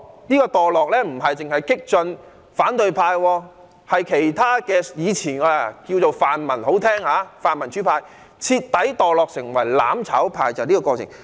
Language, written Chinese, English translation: Cantonese, 這種墮落不限於激進反對派，連以前被稱為泛民主派的人士，也徹底墮落成為"攬炒派"，正正就是這個過程。, This degeneration is not only confined to the radical opposition camp but even those who used to be known as pan - democrats they have also completely degenerated to become the mutual destruction camp . This is precisely the process